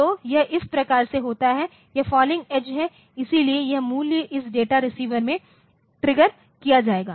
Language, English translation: Hindi, So, this is happened by this so, this falling edge so, the value will be it will be triggered in this data receive